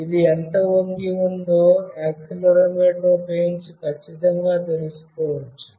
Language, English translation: Telugu, How much it is tilted can be accurately found out using the accelerometer